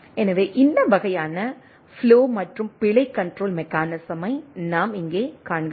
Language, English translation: Tamil, So, this is the overall flow and error control mechanism